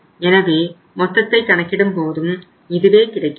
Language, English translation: Tamil, If you total it up it works out as the same thing